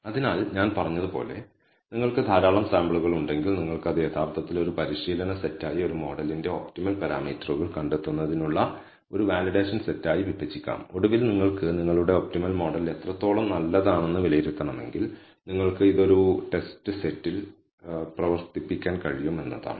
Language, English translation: Malayalam, So, as I said, if you have large number of amount of samples, then you can actually divide it into a training set, a validation set for finding the optimal number of parameters of a model and finally, if you want to assess, how good your optimal model is you can run it on a test set